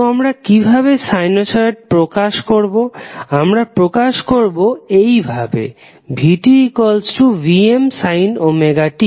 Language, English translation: Bengali, We represent sinusoid like vT is equal to vM sine omega T